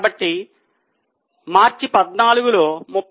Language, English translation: Telugu, This is for the March 14